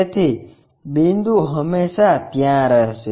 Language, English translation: Gujarati, So, point always be there